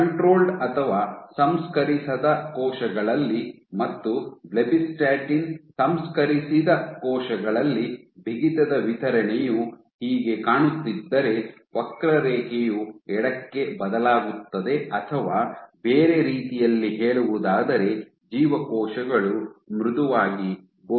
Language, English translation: Kannada, If this is how your stiffness distribution looks in control or untreated cells in blebbistatin treated cells the curve will shift to the left or in other words the cells will appear softer